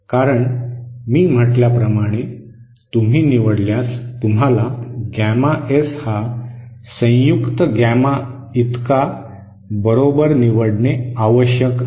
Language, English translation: Marathi, Because if you choose as I said, you have to choose gamma S is equal to gamma in conjugate